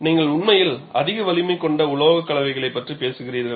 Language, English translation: Tamil, So, if you look at, we are really talking of very high strength alloys